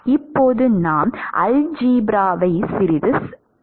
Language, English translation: Tamil, So now, we can do little bit of algebra, cancel a like terms